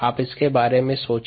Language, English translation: Hindi, you think about it